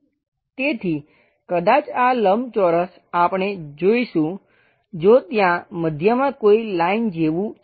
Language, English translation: Gujarati, So, perhaps this entire rectangle, we will see it there is something like a line at middle